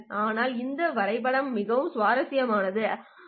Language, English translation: Tamil, But this graph is very interesting, right